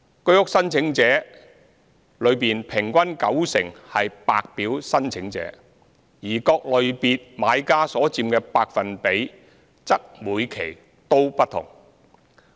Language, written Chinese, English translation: Cantonese, 居屋申請者中平均九成為白表申請者，而各類別買家所佔百分比則每期均不同。, Amongst HOS applicants an average of 90 % were White Form applicants whilst the percentage shares of buyers from different categories varied in different batches